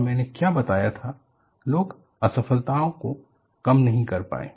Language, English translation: Hindi, And what I pointed out was, people were not detracted by the failures